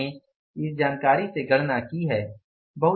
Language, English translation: Hindi, We have calculated from this information